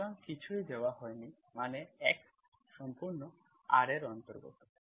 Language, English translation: Bengali, So nothing is given means x belongs to full R